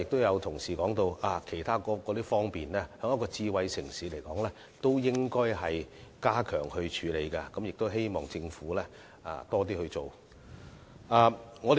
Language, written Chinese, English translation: Cantonese, 有同事剛才亦提到對於一個智慧城市來說，其他方面也應加強，希望政府能夠多做一點。, Just now an Honourable colleague also pointed out that a smart city should also enhance itself on other fronts and called on the Government to redouble its effort